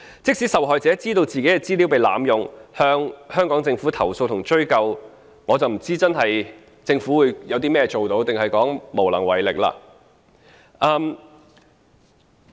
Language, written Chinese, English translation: Cantonese, 即使受害者知道自己的資料被濫用，向香港政府投訴及追究，但我不知道政府可以做甚麼，還是會說無能為力？, Even if a victim having realized that his or her information was being misused lodges a complaint and pursues the matter with the Hong Kong Government what can the Government do I wonder? . Or will the answer be nothing?